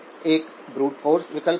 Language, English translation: Hindi, One would be the brute force option